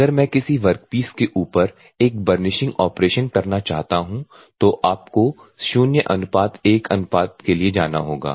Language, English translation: Hindi, If at all I want to get a burnishing operation on top of a work piece then you have to go for 0 : 1